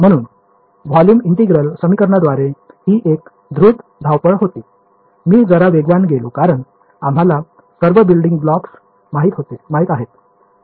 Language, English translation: Marathi, So, this was a very quick run through of volume integral equations I went a little fast because we know all the building blocks